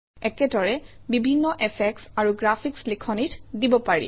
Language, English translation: Assamese, Similarly, various such effects and graphics can be given to the text